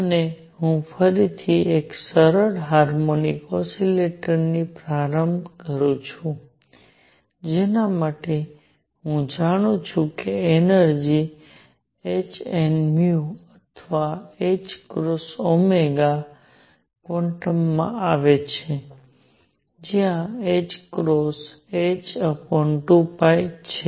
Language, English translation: Gujarati, And let me start again with a simple harmonic oscillator for which I know that the energy comes in quantum of h nu or h cross omega, where h cross is h upon 2 pi